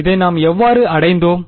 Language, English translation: Tamil, How did we arrive at this